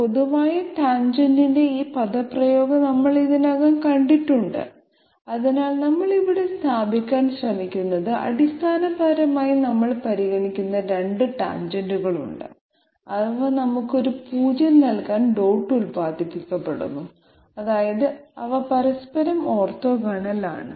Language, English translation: Malayalam, This expression of general tangent we already we have come across, so what we are trying to establish here is that there are basically two tangents that we are considering and they are dot producted to give us a 0, which means they are neutrally orthogonal that means they are perpendicular to each other